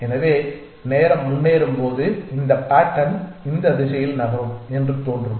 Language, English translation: Tamil, So, as the time progresses this pattern will appear to be moving in this direction